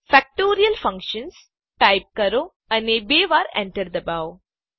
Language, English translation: Gujarati, Type Factorial Function: and press enter twice